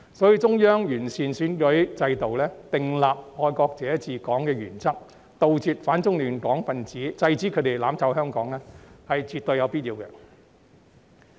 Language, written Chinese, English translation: Cantonese, 所以，中央完善選舉制度、訂立"愛國者治港"原則，以杜絕反中亂港分子，制止他們"攬炒"香港，是絕對有必要的。, Therefore it is definitely necessary for the Central Authorities to improve the electoral system and establish the principle of patriots administering Hong Kong in order to eliminate anti - China disruptors and stop them from achieving mutual destruction in Hong Kong